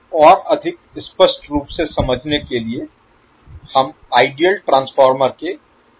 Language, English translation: Hindi, So to understand this more clearly will we consider one circuit of the ideal transformer